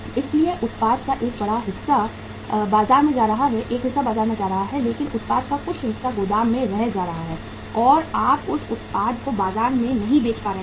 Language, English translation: Hindi, So part of the product is going to the market but part of the product is going to the warehouse and you are not able to sell that product in the market